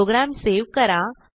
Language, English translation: Marathi, Save the program